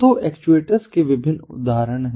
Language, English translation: Hindi, so there are different examples of actuators